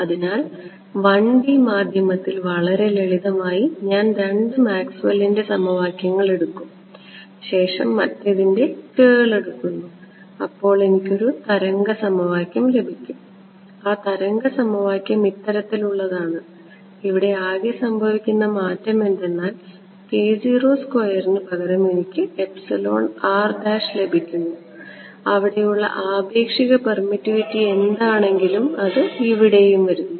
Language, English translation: Malayalam, So, 1D medium so, very simply I will take the two Maxwell’s equations take curl of the other and get a wave equation and this wave equation that I get is off this kind over here the only change that happens is that instead of k naught squared I get an epsilon r prime whatever was the relative permittivity over there comes in over here ok